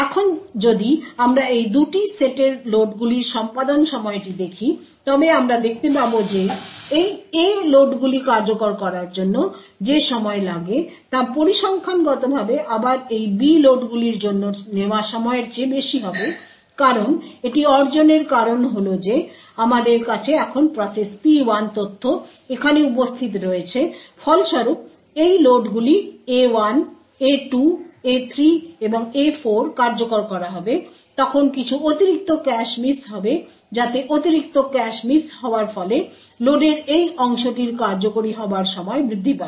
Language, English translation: Bengali, Now if we look at the execution time of these 2 sets of loads what we would see is the time taken for executing these A loads would be greater than the time taken for these B loads statistically again the reason be achieved this is due to the fact that we now have process P1 data present away here as a result when these load A1 A2 A3 and A4 get executed there would be some additional cache misses so that additional cache misses would result in increased execution time for this part of the code on the other hand when the loads to B1 B2 B3 or B4 are executed we similarly we as you shall get cache hits and therefore the time taken would be considerably lesser thus to transmit a value of 1 process P1 which is which for example is a top secret process would set the bit value to be equal to 1 which would then evict one particular cache line from the A set and as a result would influence the execution time of process P2 and therefore execution time for this part of the process P2 would be higher compared to the compared to the other part